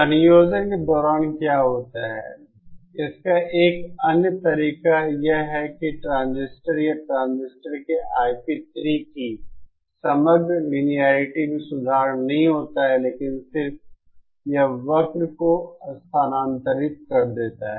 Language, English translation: Hindi, One other way in, what happens during combining is that the overall linearity of the transistor or I p 3 of the transistor is not improved, but just that the curve is shifted away